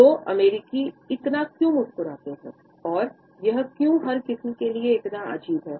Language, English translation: Hindi, So, why do American smile so much and why is that so strange to everyone else